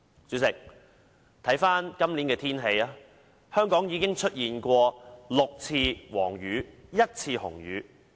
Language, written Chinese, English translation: Cantonese, 主席，今年香港已出現6次黃雨和1次紅雨。, President so far we have already seen six amber rainstorms and one red rainstorm in Hong Kong this year